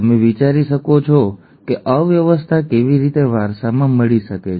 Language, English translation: Gujarati, You you could think how else could the disorder be inherited